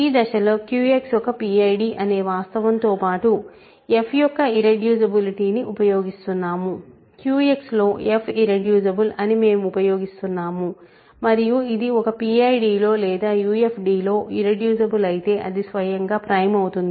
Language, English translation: Telugu, In this step, we are using the irreducibility of f along with the fact that Q X is a PID, we are using that f is irreducible in Q X and if it is irreducible in a PID or UFD it is automatically prime